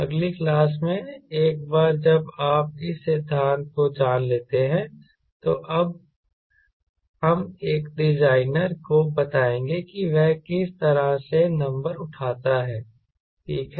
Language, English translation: Hindi, in the next class, once you know this theory, we will now tell a designer how fix number right